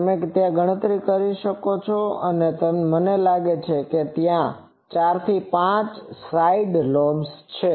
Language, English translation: Gujarati, You can always calculate I think 4 5 side lobes are there etc